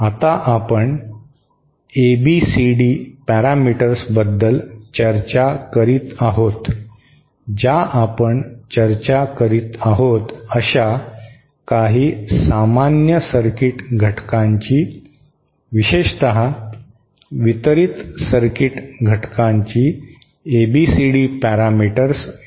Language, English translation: Marathi, Now, we were discussing about the ABCD parameters, let us try to find out the ABCD parameters of some common circuit elements that we have been discussing, especially the distributed circuit element